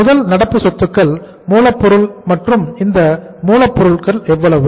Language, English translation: Tamil, First current asset is the raw material and this raw material is how much